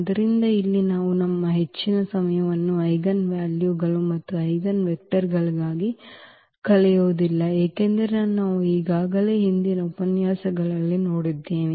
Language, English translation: Kannada, So, here we will not spend much of our time for computing eigenvalues and eigenvectors, because that we have already seen in previous lectures